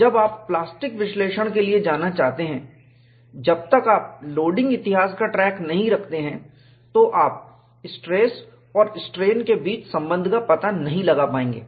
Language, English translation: Hindi, When you want to go for plastic analysis, unless you keep track of the loading history, you will not be able to find out a relationship between stress and strain